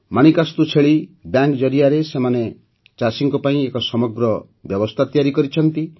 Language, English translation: Odia, Manikastu Goat Bank has set up a complete system for the farmers